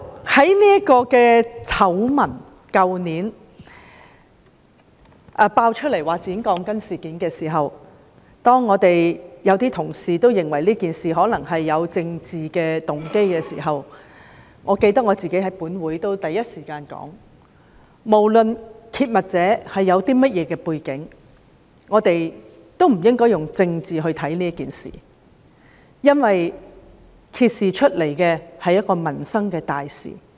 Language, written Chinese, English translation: Cantonese, 去年爆出剪短鋼筋醜聞時，一些同事認為事件可能有政治動機，但我記得我是第一時間在本會發言指出，不論揭密者有何背景，我們亦不應以政治角度看待這件事，因為所揭示的是民生大事。, I am really a fan supporter of MTR . When the scandal concerning the cutting short of rebars was uncovered last year some Honourable colleagues considered that the incident might involve political motives . Yet I remember I spoke in this Council in the first instance and pointed out that regardless of the background of the whistler - blower we should not look at the incident from the political perspective since the matter revealed was a major issue related to peoples livelihood